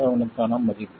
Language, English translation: Tamil, 7 that is about 0